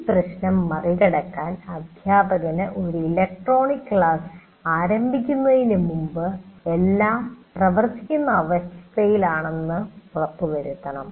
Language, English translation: Malayalam, So one of the major issues is the teacher has to make sure that if it is using an electronic classroom that everything is in working condition before you start the class